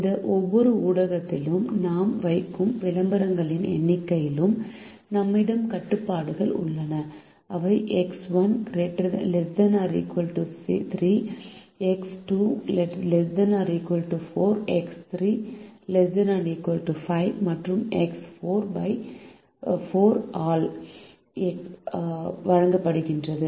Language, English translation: Tamil, we also have restrictions on the number of advertisements that we would place in each of these media and they are given by x one less than or equal to three x two less than or equal to four, x three less than or equal to five, and x four less than or equal to four